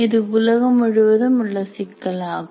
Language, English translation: Tamil, This is an issue throughout the world